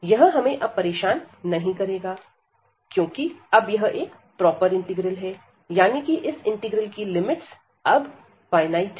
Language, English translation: Hindi, So, this is not bothering as now, so this is proper integral that means we have the value of this finite value of this integral